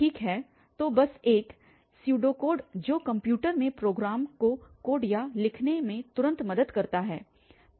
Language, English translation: Hindi, Well, so just a Pseudocode which can help immediately to code or the write a program in the computer